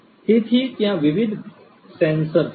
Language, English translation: Gujarati, So, there are different different sensors